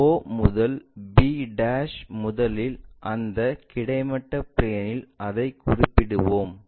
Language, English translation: Tamil, o to b' first of all we locate it on that horizontal plane